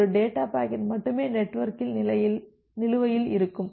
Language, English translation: Tamil, So, only one data packet can be outstanding in the network